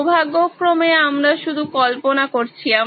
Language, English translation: Bengali, Thankfully we are just simulating